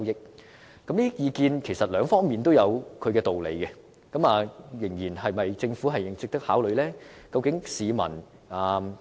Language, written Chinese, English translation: Cantonese, 就着這些意見，其實兩方面也有道理，是否值得政府考慮呢？, In regard to these views either for or against the arrangement they are also sensible . Should they also be considered by the Government?